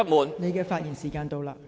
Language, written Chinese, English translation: Cantonese, 陳議員，發言時限到了。, Mr CHAN your speaking time is up